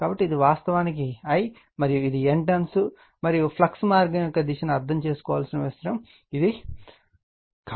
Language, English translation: Telugu, So, this is actually I, and this is N turns, and this is the only thing need to understand the direction of the flux path